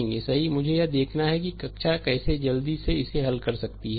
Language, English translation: Hindi, We have to see that classroom how we can quickly we can solve this one